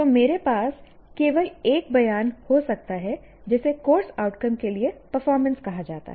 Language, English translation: Hindi, So, strictly speaking, I can have just one statement called performance for a course outcome